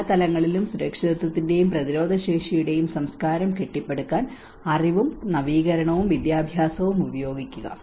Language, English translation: Malayalam, Use knowledge, innovation and education to build a culture of safety and resilience at all levels